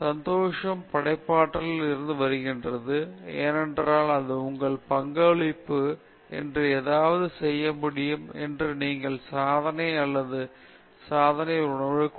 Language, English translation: Tamil, So, the happiness comes out of creativity, because it gives you a sense of achievement or accomplishment that you are able to do something that it is your contribution